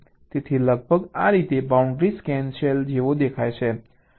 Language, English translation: Gujarati, this is how the boundary scan cell looks like now